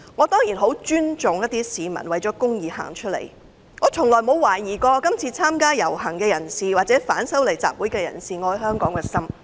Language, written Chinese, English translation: Cantonese, 當然，我很尊重一些市民為了公義走出來，我從來沒有懷疑今次參加遊行或反修例集會的人愛香港的心。, I certainly respect those who fight for justice and I have never doubted that those who participated in the processions or the anti - amendment assemblies love Hong Kong